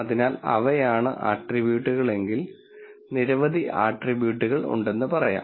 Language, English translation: Malayalam, So, if those are the attributes let us say many attributes are there